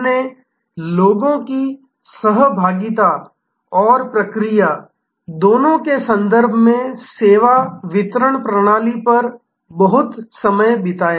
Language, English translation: Hindi, We spent a lot of time on service delivery system in terms of both process and process people interaction